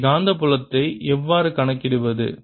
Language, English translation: Tamil, how do i calculate the magnetic field here